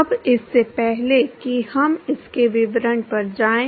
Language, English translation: Hindi, Now, before we going to the details of this